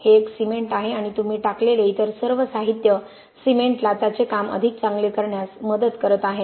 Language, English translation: Marathi, It is a cement and all the other materials that you put in are helping cement do its job better